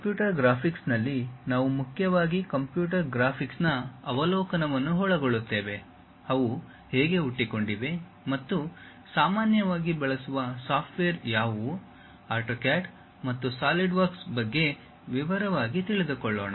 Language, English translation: Kannada, In computer graphics, we mainly cover overview of computer graphics, how they have originated and what are the commonly used softwares; little bit about AutoCAD and in detail about SolidWorks